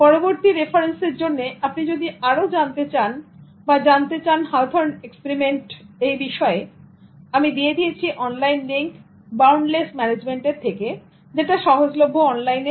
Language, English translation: Bengali, For further reference, if you want to know more about Hawthorne experiment, I have given an online link from boundless management which is available online